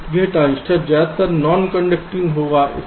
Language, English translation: Hindi, so this transistor will be mostly non conducting